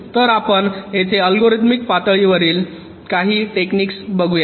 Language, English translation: Marathi, so we look at some of these algorithmic level techniques here